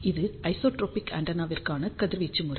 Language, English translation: Tamil, So, this is the radiation pattern for isotropic antenna